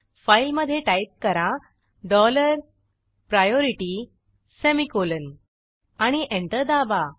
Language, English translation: Marathi, Type the following in the file dollar priority semicolon and press Enter